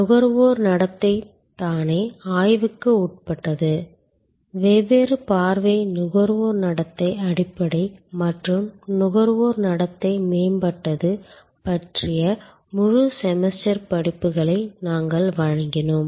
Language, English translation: Tamil, Consumer behavior is a subject of study by itself, we offered full semester courses on different sight consumer behavior basic as well as consumer behavior advanced